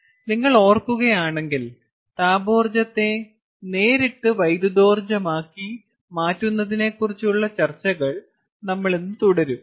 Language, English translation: Malayalam, so, if you recall, we are continue, we will continue today our discussions on direct conversion of thermal energy to electrical energy